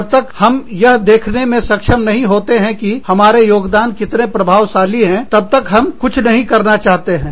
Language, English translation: Hindi, And unless, we are able to see, how our contributions are effective, we do not want to do anything